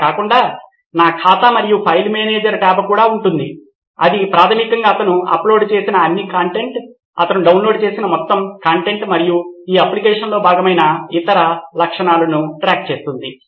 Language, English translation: Telugu, Other than that there will also be a my account and a file manager tab which basically keeps track of all the content that he has uploaded, all the content that he has downloaded and all the other features that are part of this application